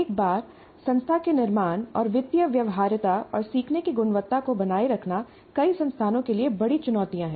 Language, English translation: Hindi, But once the institution created and maintaining financial viability and quality of learning is a major challenge to many institutions